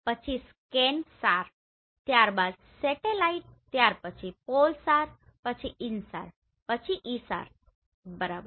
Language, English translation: Gujarati, Then ScanSAR, then spotlight then PolSAR then InSAR then ISAR right